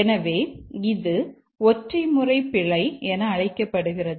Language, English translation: Tamil, So, this is called as a single mode bug